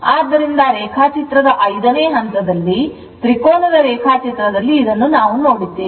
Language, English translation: Kannada, So, in the 5 th Phase in the diagram Triangle diagram we have seen this was 39